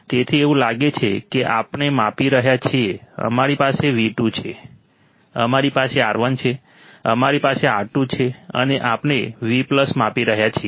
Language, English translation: Gujarati, So, it looks like we are measuring we have V2, we have R1, we have R2, and we are measuring the Vplus correct